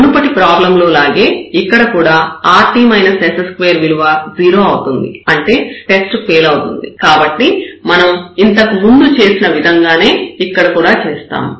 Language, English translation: Telugu, And similar to the previous case we have rt minus s square, so this test fails again and we will use the same idea a similar idea what we have done before